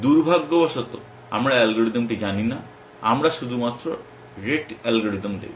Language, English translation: Bengali, Unfortunately we do not know the algorithm, we will only look at the rete algorithm